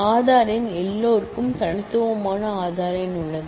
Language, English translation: Tamil, Aadhaar number; everybody has a unique Aaadhaar number